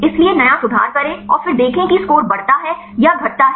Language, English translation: Hindi, So, make new conformation and then see whether the score increases or decreases